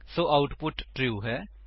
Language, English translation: Punjabi, Therefore, the output is true